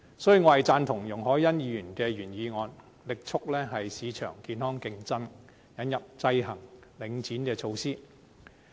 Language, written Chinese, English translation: Cantonese, 所以，我贊同容海恩議員的原議案，力促市場健康競爭，引入制衡領展的措施。, Hence I support Ms YUNG Hoi - yans original motion on vigorously promoting healthy market competition and introducing measures to counteract the dominance of Link REIT